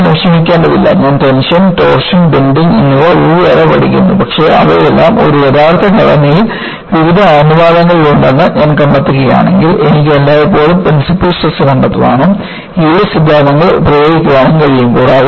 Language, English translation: Malayalam, If I do not have to worry, I learn tension, torsion, bending separately, but if I find all of them exist with various proportions in an actual structure, I can always find out the principal stresses and invoke the yield theories